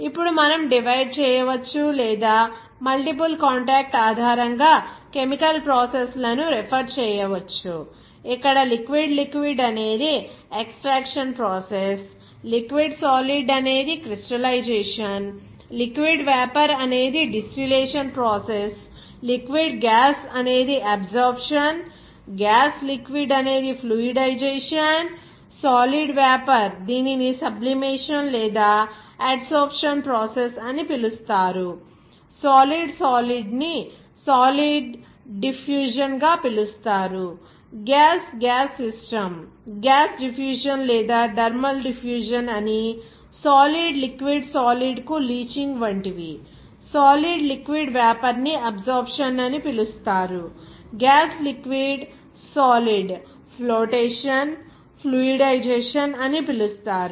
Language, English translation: Telugu, Now, we can divide or we can referred that chemical processes based on multiple contact like; that liquid liquid here extraction process, liquid solid like crystallization, liquid vapor distillation process, liquid –gas that absorption, gas solid like fluidization, solid vapor it is called sublimation or adsorption process, even solid solid is called solid diffusion, even gas gas system gas diffusion thermal diffusion, solid liquid solid like leaching there, Even that a solid liquid vapor it is called adsorption, gas liquid solid it is called flotation, fluidization